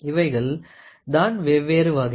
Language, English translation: Tamil, So, these are the different types